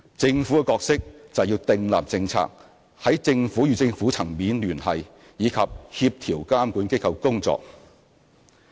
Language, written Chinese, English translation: Cantonese, 政府的角色則是訂立政策，在政府與政府層面聯繫，以及協調監管機構的工作。, The Government plays the role of policy formulation contacting other authorities at the government level and coordinating the works of regulatory bodies